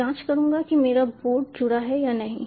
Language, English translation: Hindi, i will check whether my board is connected